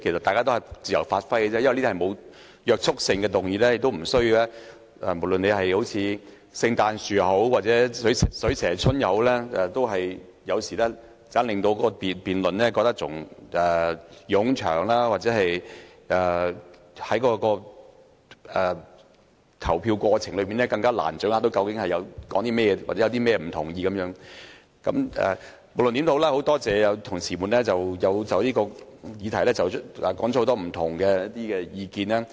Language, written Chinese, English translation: Cantonese, 大家都是自由發揮而已，因為這些議案均不具約束力，實在沒有必要像聖誕樹掛裝飾或"水蛇春"一般累贅，有時這樣反而令辯論變得冗長，又或令議員在投票時難以掌握究竟在辯論甚麼或有甚麼不同意見，但無論如何，我很多謝同事就這項議題提出了不同意見。, These motions only give Members an opportunity to freely express their views . As motions do not have any binding effect it is really unnecessary to treat them as Christmas trees or make them cumbersome . Consequently the debate will be unnecessarily lengthy or Members will have difficulties in understanding what the debate is about or what divergent views are raised when they vote